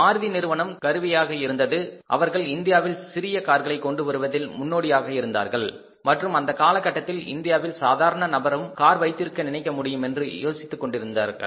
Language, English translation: Tamil, Maruti was instrumental, they were the pioneer in India to bring the small car in the country and at that their say thinking was that even a common man India can think of having a car